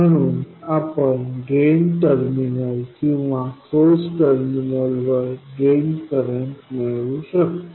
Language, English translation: Marathi, So, we can access the drain current at the drain terminal or the source terminal